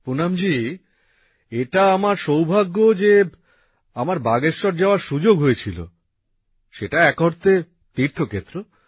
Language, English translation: Bengali, Poonam ji, I am fortunate to have got an opportunity to come to Bageshwar